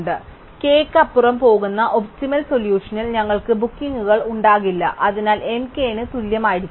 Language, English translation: Malayalam, So, therefore we cannot have any bookings in the optimum solution which go beyond k and therefore, m must be equal to k